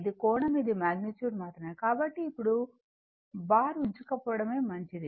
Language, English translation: Telugu, It is angle this is a magnitude only; so better not to bar now